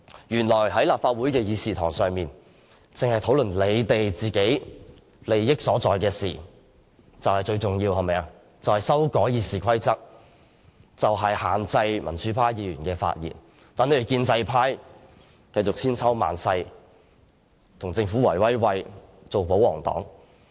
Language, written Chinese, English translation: Cantonese, 原來立法會的議事堂只是用來討論他們利益所在的事情，就是修改《議事規則》以限制民主派議員的發言，讓建制派繼續千秋萬世，與政府"圍威喂"，繼續做保皇黨。, It turns out that the Chamber of the Council is only used to hold discussion on matters in which they have an advantage namely amending the Rules of Procedure RoP to restrict pro - democracy Members from speaking . As such the pro - establishment camp can work in collusion with the Government ever after and they can continue to be royalists . That is the practice of pro - establishment Members